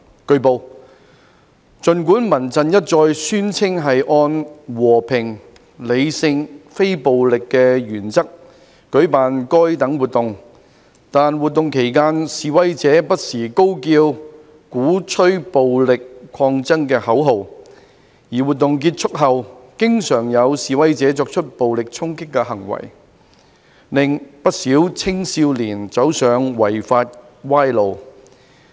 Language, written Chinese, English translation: Cantonese, 據報，儘管民陣一再宣稱是按"和平、理性、非暴力"的原則舉辦該等活動，但活動期間示威者不時高叫鼓吹暴力抗爭的口號，而活動結束後經常有示威者作出暴力衝擊行為，令不少青少年走上違法歪路。, It has been reported that despite CHRFs repeated claims that it was organizing such activities under the principle that they should be peaceful rational and non - violent the protesters shouted slogans that advocated violent opposition from time to time during such activities and there were often protesters committing acts of violent attacks after such activities had ended leading quite a number of young people astray to break the law